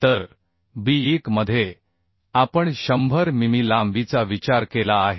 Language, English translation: Marathi, 5 So b1 we have consider 100 mm length of bearing so 100 mm plus 82